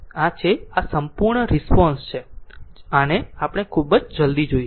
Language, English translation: Gujarati, This is we call the complete response much more we will see very soon right